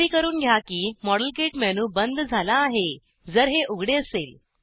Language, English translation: Marathi, Ensure that the modelkit menu is closed, if it is open